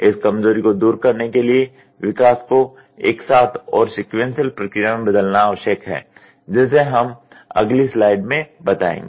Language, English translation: Hindi, To overcome this weakness, it is necessary to change the step development into a more simultaneous and less sequential process which we will illustrate in the next slide